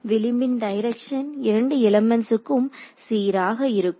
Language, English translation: Tamil, So, the edge direction is consistent between both the elements